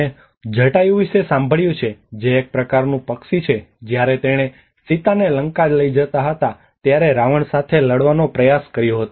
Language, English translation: Gujarati, Have you heard about Jatayu which is a kind of bird which protected tried to fight with Ravana when he was carrying Sita to Lanka